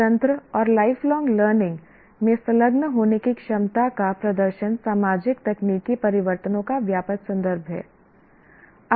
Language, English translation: Hindi, Demonstrate the ability to engage in independent and lifelong learning in the broadest context of socio technical changes